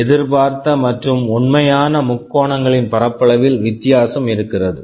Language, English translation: Tamil, There will be a difference in the area of the expected and actual triangles